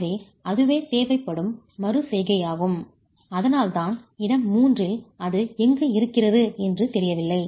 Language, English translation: Tamil, So that's the iteration that would be required and that is the reason why we don't know where we lie in region three